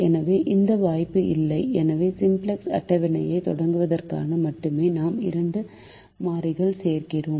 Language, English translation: Tamil, so we do not have that opportunity and therefore, only for the sake of starting the simplex table, we add two variables